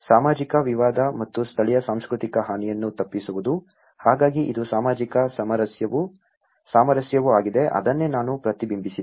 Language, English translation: Kannada, Avoiding social dispute and harm to local culture; so this is also the social harmony, that is what I reflected with